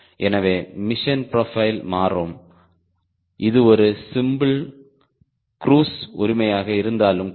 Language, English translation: Tamil, so the mission profile will change, even if it is a simple cruise